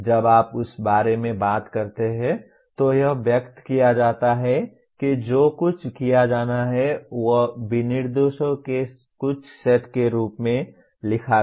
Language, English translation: Hindi, When you talk about that, that is expressed what is to be done is written as some set of specifications